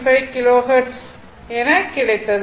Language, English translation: Tamil, 475 Kilo Hertz right is equal to 2